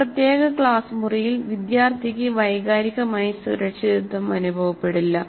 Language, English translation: Malayalam, In a particular classroom, the student may not feel emotionally secure